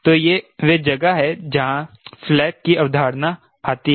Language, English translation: Hindi, so that is where this concept of flap came